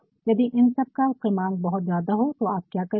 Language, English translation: Hindi, In case the number of all these things is too many then what you will do